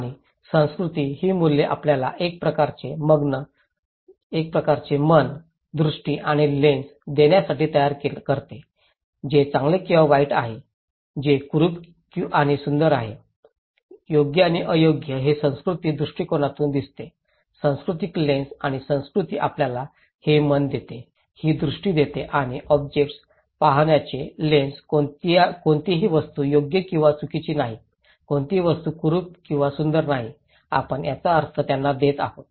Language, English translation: Marathi, And culture create these values to give us some kind of mind, vision and lens so, what is good and bad, ugly and beautiful, right and wrong this is we see from cultural perspective, cultural lens and culture gives us this mind, this vision and this lens to see the objects, no object is right or wrong, no object is ugly and beautiful, it is that we which we give the meaning to them right